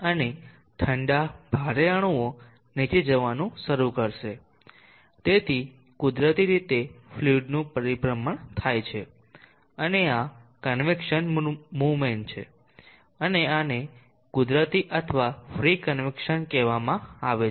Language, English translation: Gujarati, And the colder, heavier molecules will start moving down, so there is a circulation of the fluid naturally and this is the convection movement, and this is called the natural or the free convection